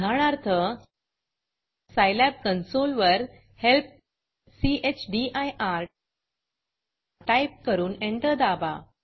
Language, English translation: Marathi, For example, type help chdir on the scilab console and press enter